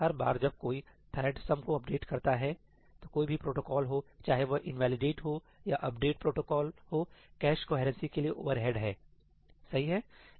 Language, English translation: Hindi, Every time a thread updates sum, whatever the protocol be whether it be the invalidate or the update protocol for cache coherency, it has overheads